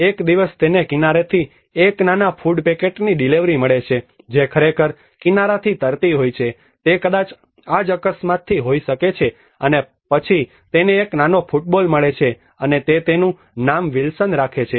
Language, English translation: Gujarati, One day he gets a small food packet delivery from the shore which actually float from the shore probably it could have been from the same accident and then he finds a small football and he names it as Wilson